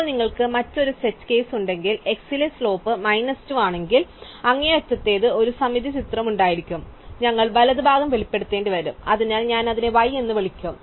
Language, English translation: Malayalam, Now, it will turn out that if you have the other side case, the other extreme where the slope at x is minus 2, then will have a symmetric picture, so we will have to expose the right child I will call it y